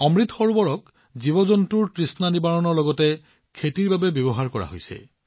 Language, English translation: Assamese, Amrit Sarovars are being used for quenching the thirst of animals as well as for farming